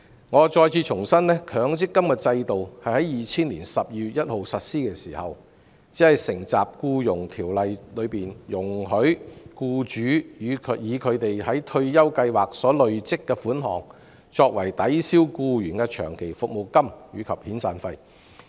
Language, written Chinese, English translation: Cantonese, 我重申，強積金制度在2000年12月1日實施時，只承襲《僱傭條例》中容許僱主以其在退休計劃所累積的款項，作為抵銷僱員的長期服務金及遣散費的規定。, I reiterate that when the MPF Scheme was implemented on 1 December 2000 it only adopted the requirement stipulated in the Employment Ordinance that allows employers to offset the long service payment and severance payment payable to an employee with the accrued contributions made to a retirement scheme